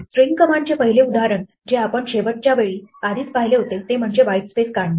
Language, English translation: Marathi, The first example of a string command that we already saw last time is the commands to strip white space right